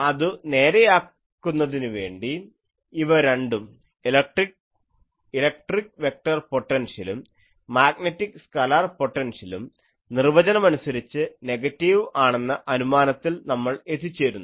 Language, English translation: Malayalam, So, to adjust with that we are taking both these electric vector potential and this magnetic scalar potential, we are choosing by definition negative